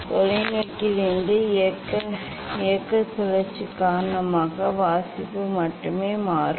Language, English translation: Tamil, only reading will change due to the motion rotation of the telescope